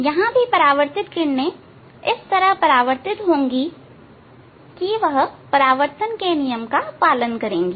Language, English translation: Hindi, Here also reflection light will be reflect in such a way it will follows the laws of reflection